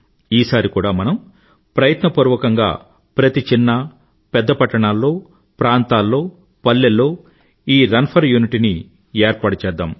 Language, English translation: Telugu, Even this year, we should try to organize 'Run for Unity' in our village, town, city or metropolis